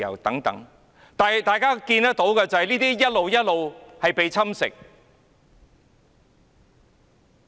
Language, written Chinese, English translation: Cantonese, 然而，大家看到的是，這一切都逐漸被侵蝕。, Nevertheless as we can see all these freedoms have gradually been eroded